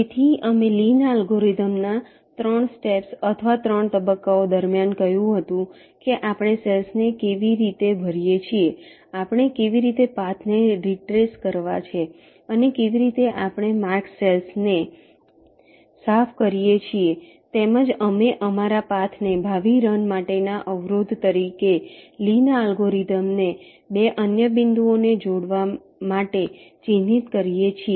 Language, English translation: Gujarati, so we had said, during the three steps or the three phases of the lees algorithm, how we fill up the cells, how we retrace the path and how we clear the mark cells as well as we mark the path as an obstacle for future runs of lees algorithm